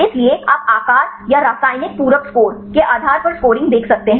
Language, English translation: Hindi, So, one is a shape and chemical complementary score